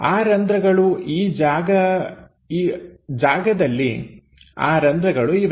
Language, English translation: Kannada, The holes this is the place where holes are located